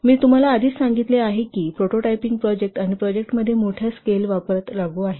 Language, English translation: Marathi, I have already told you this is applicable to prototyping projects and projects where there are extensive reuse